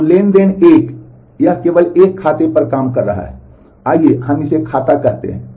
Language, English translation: Hindi, So, transaction 1 it is working only on one account let us call it account A